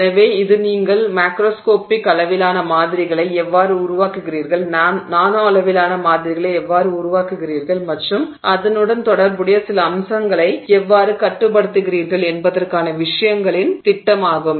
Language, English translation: Tamil, So this is is the scheme of things, how you make a microscopic scale samples, how you make nanoscale samples, and then how you control some aspects associated with it